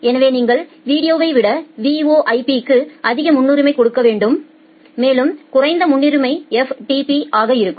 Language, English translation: Tamil, So, you need to give more priority to VoIP than the video and the less priority will be the FTP